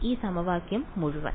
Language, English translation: Malayalam, This whole equation ok